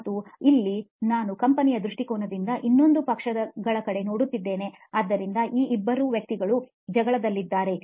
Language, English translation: Kannada, And here I am looking at from the company perspective, the other side of the parties